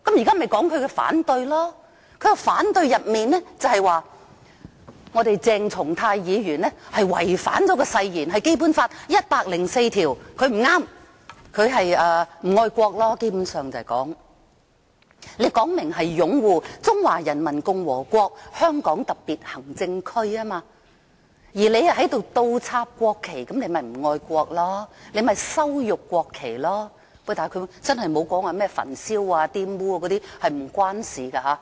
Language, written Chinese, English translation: Cantonese, 他提出反對的原因是，譴責議案說鄭松泰議員違反誓言，根據《基本法》第一百零四條，他做得不對，基本上其實是說他不愛國，因為明明說擁護中華人民共和國香港特別行政區，而他卻倒插國旗，他便是不愛國，便是羞辱國旗，但他真的沒有說甚麼焚燒或玷污，這是沒有關係的。, The reason for him to raise opposition is that according to the censure motion Dr CHENG Chung - tai had breached his oath and under Article 104 of the Basic Law he had done something wrong . This actually boils down to the notion that he is unpatriotic because while he openly swore allegiance to the Hong Kong Special Administrative Region of the Peoples Republic of China he inverted the national flags and this goes to show that he is unpatriotic and that he had humiliated the national flag though he really did not say anything about burning or defiling the national flag so this is not the point at issue . I am still talking about the question of oath